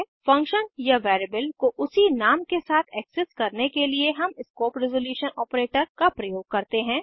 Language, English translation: Hindi, To access the variable or function with the same name we use the scope resolution operator ::